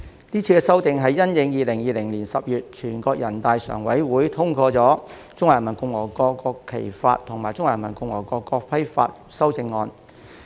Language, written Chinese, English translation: Cantonese, 是次修訂是因應2020年10月全國人民代表大會常務委員會通過《中華人民共和國國旗法》及《中華人民共和國國徽法》修正草案而作出。, The Bill was introduced in light of the amendments to the Law of the Peoples Republic of China on the National Flag and Law of the Peoples Republic of China on the National Emblem endorsed by the Standing Committee of the National Peoples Congress in October 2020